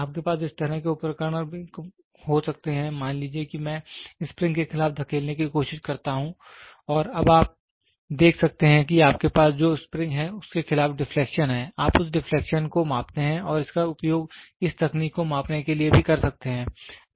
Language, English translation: Hindi, You can also have instruments like that, suppose I try to push against the spring and you can now see what is the deflection against the spring you have, you measure that deflection and that is also can be used this technique also can be used for measuring